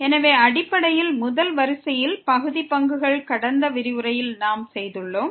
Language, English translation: Tamil, So, basically the first order partial derivatives we have done in the last lecture